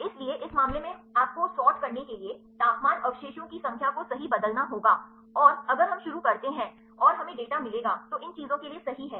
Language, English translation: Hindi, So, in this case sorting you need to change temperature residue number right and, if we start and we will get the data is the one for these things right